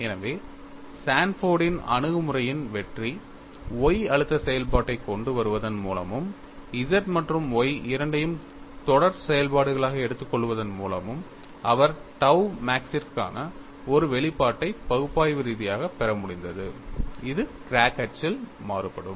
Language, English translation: Tamil, So, the success of Sanford's approach is by bringing the stress function Y, and also taking both the Z and Y as series functions, he was able to get analytically, an expression for tau max, which varies along the crack axis